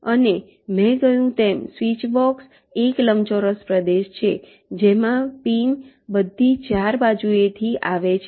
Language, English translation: Gujarati, as i said, it's a rectangular region with pins coming from all four sides